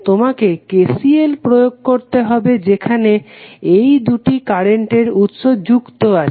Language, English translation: Bengali, You have to apply KCL at two nodes where these two current sources are connected